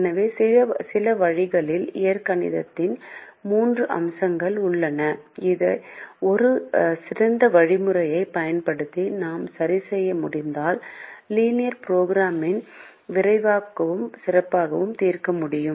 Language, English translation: Tamil, so in some ways, there are three aspects of the algebraic method which, if we can correct using a better algorithm, we can solve linear programming faster and better